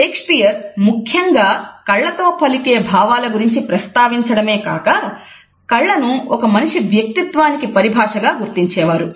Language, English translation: Telugu, Shakespeare has particularly alluded to the expression of eyes and he has often looked at eyes as an expression of human character